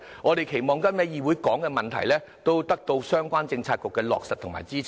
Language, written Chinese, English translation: Cantonese, 我們期望今天在議會提及的事宜，都得到相關政策局的落實和支持。, We hope that the Bureaux concerned can support and implement and the issues we have raised in the Council today